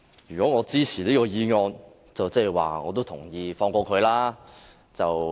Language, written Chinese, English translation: Cantonese, 如果我支持這項議案，代表我也同意放過他。, If I support this motion it means that I also agree to let him go